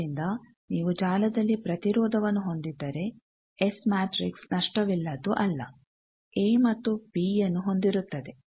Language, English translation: Kannada, So, if any you have resistance used in the network you can see that is S matrix cannot be lossless a and b holds